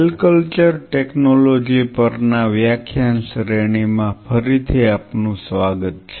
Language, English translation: Gujarati, Welcome back into the lecture series on Cell Culture Technology